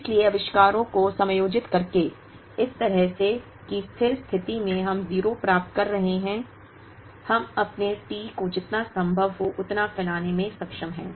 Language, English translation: Hindi, So, by adjusting the inventories, in such a manner that at steady state we are getting 0, we are able to stretch our T as much as we can